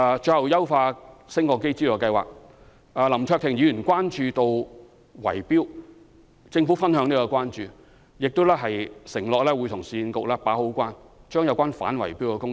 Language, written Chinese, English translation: Cantonese, 最後，有關優化升降機資助計劃，林卓廷議員關注到圍標問題，政府對此亦表關注，並承諾會與市區重建局好好把關，做好反圍標的工作。, Last but not least regarding the Lift Modernisation Subsidy Scheme Mr LAM Cheuk - ting is concerned about the issue of bid - rigging . The Government shares his concern and undertakes to join hands with the Urban Renewal Authority URA to guard against bid - rigging properly